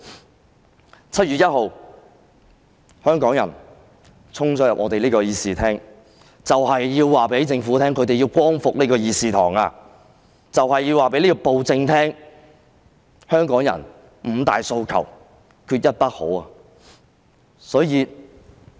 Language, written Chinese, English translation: Cantonese, 在7月1日，香港人衝進立法會議事廳，就是要告訴政府，他們要光復這個議事堂，就是要告訴暴政，香港人"五大訴求，缺一不可"。, On 1 July Hong Kong people charged into the Chamber of the Legislative Council and the message was precisely that they had to liberate this Chamber and tell the tyranny that Hong Kong people had put forward the five demands not one less